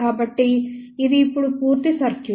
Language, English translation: Telugu, So, this is now the complete circuit